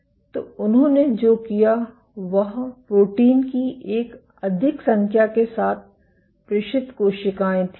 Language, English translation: Hindi, So, what they did was the transmitted cells with a multitude of proteins